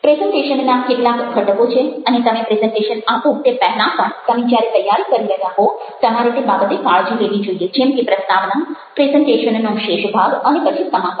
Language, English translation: Gujarati, the presentation has certain components and even before you make the presentation, when you are preparing, you need to take care of them, like the introduction, the rest of the presentation and then the conclusion